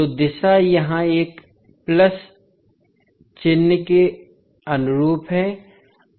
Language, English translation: Hindi, So the direction is conforming to a plus sign here